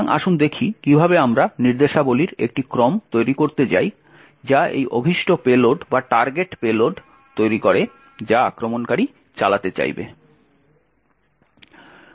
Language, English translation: Bengali, So, let us look at how we go about building a sequence of instructions that creates this particular target payload that the attacker would want to execute